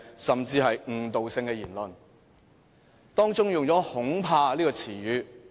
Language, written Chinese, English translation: Cantonese, 司長在發言當中，用了"恐怕"這個詞語。, In her speech the Chief Secretary used the word afraid